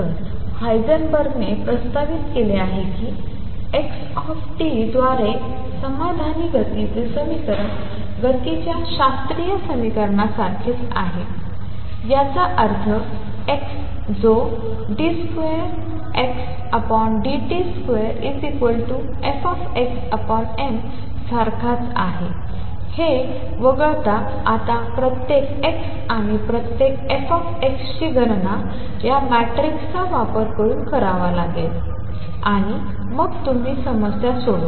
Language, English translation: Marathi, So, what Heisenberg proposed that the equation of motion satisfied by x t is the same as the classical equation of motion; that means, x double dot t which is same as d 2 x over dt square is going to be equal to Fx divided by m, except that now each x and each f x has to be calculated using these matrices and then you solve the problem